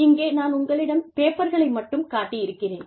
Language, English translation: Tamil, And, i will just show you the papers, here